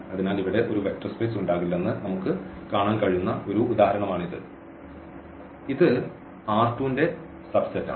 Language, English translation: Malayalam, So, this is one example where we can see that this does not form a vector space though here the; this is a subset of this R square